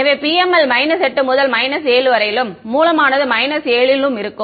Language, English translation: Tamil, So, the PML is from minus 8 to minus 7 and the source is at minus 7 ok